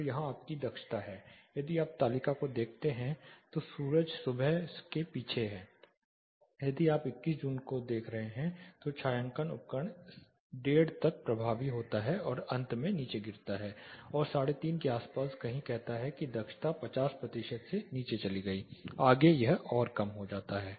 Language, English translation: Hindi, So here is your efficiency, if you look at the table sun is behind the morning then the shading device this is you are looking at say let us say June 21st, a shading device is effective up to 1:30 then eventually drops down and say somewhere around 3 o clock 3:30 the efficiency drops below 50 percent goes further low